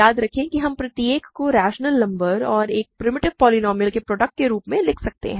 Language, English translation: Hindi, Remember we can write every rational polynomial as a product of rational number and a primitive polynomial